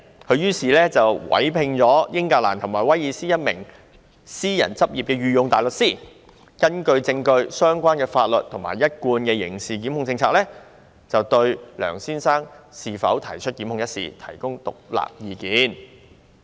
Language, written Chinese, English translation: Cantonese, 他於是委聘英格蘭及威爾斯一名私人執業的御用大律師，根據證據、相關的法律和一貫的刑事檢控政策，就應否對梁先生提出檢控一事，提供獨立意見。, He then instructed a Queens Counsel at the Bar of England and Wales to provide an independent opinion on the issue of whether a prosecution of Mr LEUNG was appropriate upon application of the law and established prosecution policy to the evidence